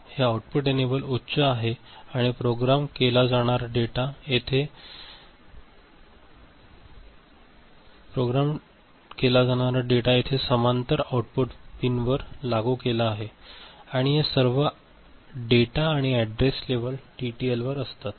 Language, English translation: Marathi, This output enable is at high and data to be programmed is applied at the output pins in parallel over here and data and address level are all at TTL